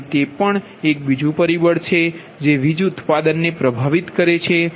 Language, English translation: Gujarati, so that is also another factor that influence the power generation